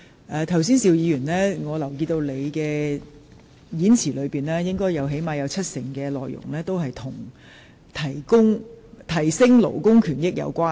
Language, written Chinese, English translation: Cantonese, 我留意到邵議員剛才發言的內容，最少有七成是與提升勞工權益有關。, I note that at least 70 % of the speech given by Mr SHIU Ka - chun just now was related to the advocation of labour rights